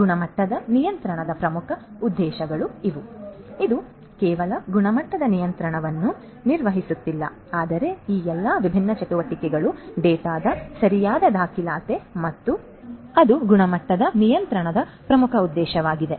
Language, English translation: Kannada, These are also very important objectives of quality control it is not just performing the quality control, but also the proper documentation and archiving of all these different activities data and so on that is also an important objective of quality control